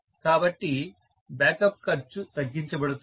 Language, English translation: Telugu, So, backup cost is going to be brought down